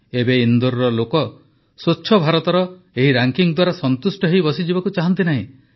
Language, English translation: Odia, Now the people of Indore do not want to sit satisfied with this ranking of Swachh Bharat, they want to move forward, want to do something new